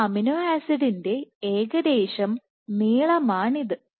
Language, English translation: Malayalam, This is the rough length of one amino acid